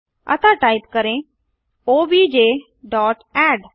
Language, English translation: Hindi, So type obj dot add